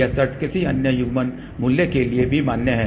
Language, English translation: Hindi, This condition is valid for any other coupling value also